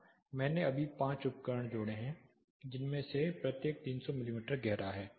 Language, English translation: Hindi, I have added 5 devices for now each one is 300 mm deep